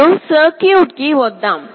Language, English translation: Telugu, Now, let us come to the circuit